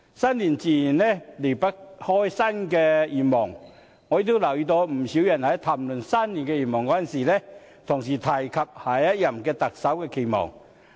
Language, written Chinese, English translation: Cantonese, 新年自然離不開新的願望，我也留意到不少人在談論新年願望時，同時提及對下任特首的期望。, An inextricable subject of the new year is to talk about the new year resolution . I notice many people have expressed their expectations of the next Chief Executive in their new year resolution